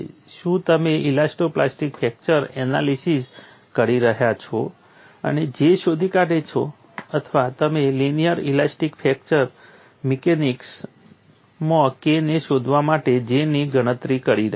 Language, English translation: Gujarati, So, you have to find out a differentiation are you doing elasto plastic fracture analysis, and find out J or are you calculating J to find out K in linear elastic fracture mechanics